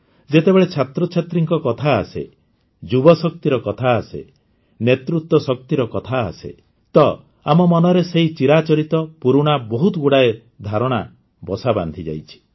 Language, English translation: Odia, My dear countrymen, when it comes to students, youth power, leadership power, so many outdated stereotypes have become ingrained in our mind